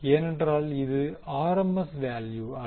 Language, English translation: Tamil, Because, this is not the RMS value